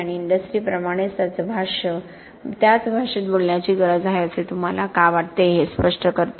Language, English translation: Marathi, And that explains why you feel that there is a need to keep, talk to same language as the industry does